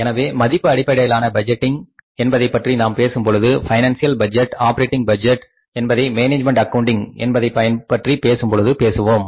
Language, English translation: Tamil, So, it means when we are talking of quantitative budgeting, financial budgeting, operating budgets, financial budgets we are talking about management accounting